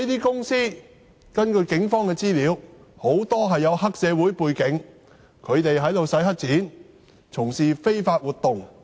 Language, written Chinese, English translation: Cantonese, 根據警方的資料，這類公司很多具黑社會背景，他們"洗黑錢"和從事非法活動。, According to the information of the Police many of these companies have a triad background and engage in money laundering and illegal activities